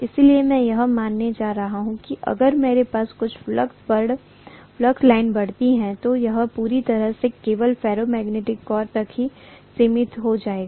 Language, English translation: Hindi, So because of which, I am going to assume that if I have some flux line flowing through this, it is going to completely confine itself to the ferromagnetic core alone